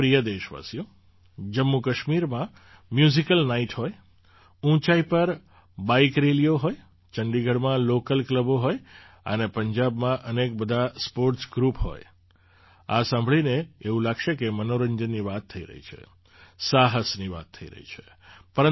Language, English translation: Gujarati, My dear countrymen, whether be the Musical Nights in Jammu Kashmir, Bike Rallies at High Altitudes, local clubs in Chandigarh, and the many sports groups in Punjab,… it sounds like we are talking about entertainment and adventure